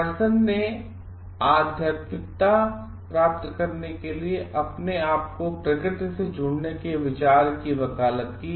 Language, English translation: Hindi, Emerson advocated the idea of yielding oneself to nature for attaining spirituality